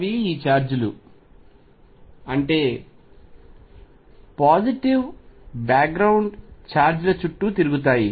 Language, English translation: Telugu, The kind of move around these charges the positive background charges